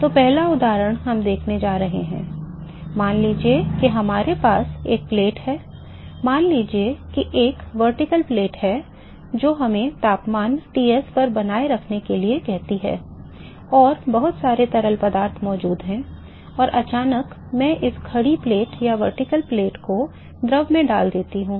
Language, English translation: Hindi, So, the first example, we are going to a look at is suppose if we have a plate, let say a vertical plate which is let us say at maintain at a temperature Ts and there is lot of fluid which is present and suddenly, I am putting this vertical plate to the fluid